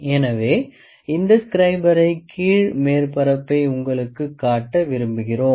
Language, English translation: Tamil, So, we will like to show you the bottom surface of this scriber